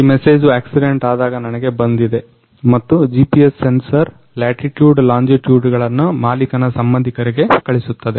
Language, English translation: Kannada, This is the message I got when the accident happened and the GPS sensor sends the latitude and longitude to the owner’s relatives